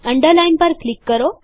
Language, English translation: Gujarati, Click on Underline